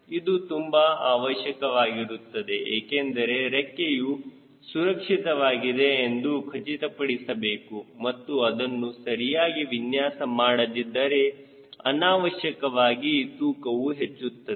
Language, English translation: Kannada, this is extremely important because you have to ensure that wing is safe enough, right and if you are not properly designed, the weight unnecessarily will increase